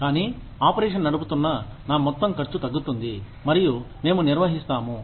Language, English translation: Telugu, But, the overall cost of running the operation, goes down, and we manage